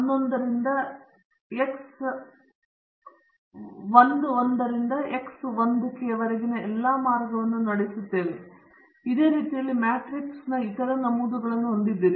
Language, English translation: Kannada, Since we have k factors, this one runs all the way from X 11 to X 1 k; similarly you have the other entries in this matrix